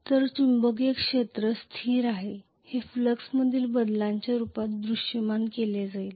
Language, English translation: Marathi, So the magnetic field is constant this is going to be visualized as the change in flux